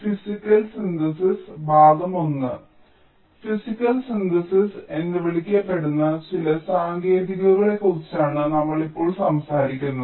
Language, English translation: Malayalam, so we now talk about some of the techniques for so called physical synthesis